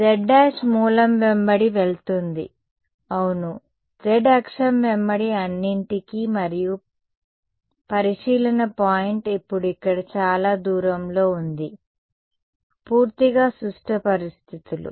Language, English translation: Telugu, z prime goes along the origin yeah, along the z axis itself that is all and the observation point is now a distance a away here, totally symmetric situations